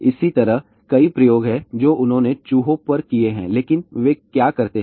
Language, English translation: Hindi, Similarly , there are many experiments they have done on the rats but what they do